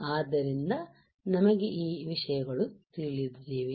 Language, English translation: Kannada, So, we know this things right